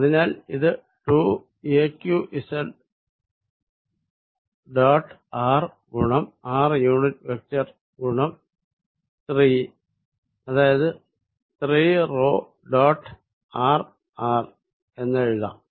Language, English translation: Malayalam, So, I can write this as equal to 2 a q z dot r times unit vector r multiplied by 3 which is nothing but 3 p dot r r